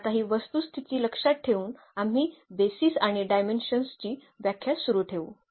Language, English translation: Marathi, So, keeping these facts in mind now we will continue with the definitions of the basis and the dimensions